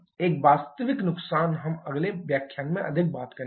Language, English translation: Hindi, These actual losses we shall be talking more in the next lecture